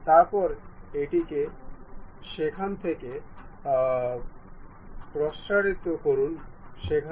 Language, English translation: Bengali, Then extend it from there to there